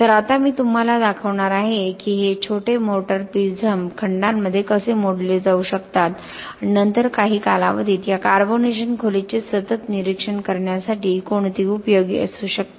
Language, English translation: Marathi, So now I will just show you how these small motor prisms can be broken into segments and then which can be useful in the continuous monitoring of this carbonation depth over a period of time